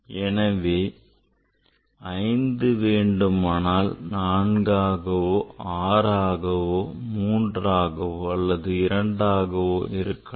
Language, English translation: Tamil, So 5 can be 4 can be 6 can be 3 can be 2 anything